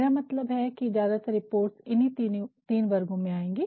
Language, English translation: Hindi, So, reports we can divide into three categories